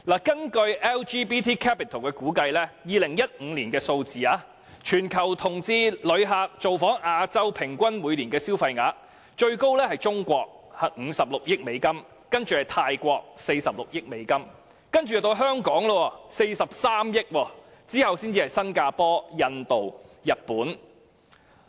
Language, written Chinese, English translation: Cantonese, 根據 LGBT Capital 的估計 ，2015 年全球同志旅客造訪亞洲的平均每年消費額，最高是中國，有56億美元，其次是泰國 ，46 億美元，然後便是香港 ，43 億美元，其後才是新加坡、印度、日本。, According to the estimation of LGBT Capital in 2015 the average per capita spending of LGBT tourists from all over the world in Asian countries each year are the highest is China US5.6 billion the next is Thailand US4.6 billion and then Hong Kong US4.3 billion followed by Singapore India and Japan